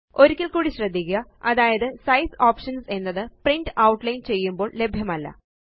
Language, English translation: Malayalam, Notice once again, that Size options are not available when we print Outline